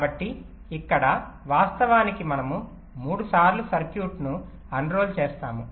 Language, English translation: Telugu, so here actually we have unrolled the circuit in time three times